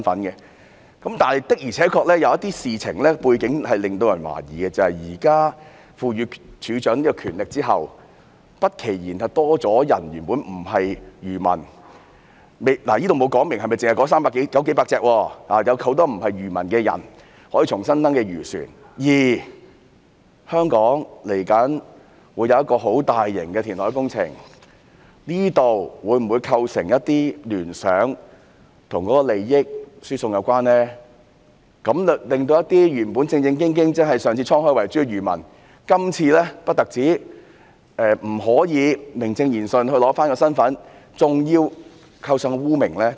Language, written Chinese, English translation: Cantonese, 然而，有些事情背景的確令人懷疑，《條例草案》現時賦予漁護署署長權力之後，由於沒有指明是否只容許那300多艘漁船重新登記，不期然會有很多原本不是漁民的人登記漁船，而香港未來會有一個很大型的填海工程，這會否因而構成一些與利益輸送有關的聯想，令到一些正正經經但上次滄海遺珠的漁民，今次不單不可以名正言順地取回身份，還要背上污名？, As the Bill empowers DAFC to exercise discretion without specifying whether re - registration is limited to the some 300 fishing vessels many people not engaged in fisheries may also register their fishing vessels . Given that a massive reclamation project will be implemented in Hong Kong will this be associated with transfer of benefits? . Will genuine fishermen who failed to register last time be stigmatized and cannot re - establish their status righteously?